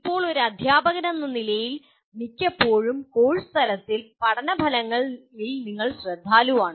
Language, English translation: Malayalam, Now, most of the time as a teacher, you are concerned with learning outcomes at the course level